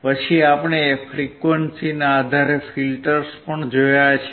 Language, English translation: Gujarati, Then we have also seen the filters based on the frequency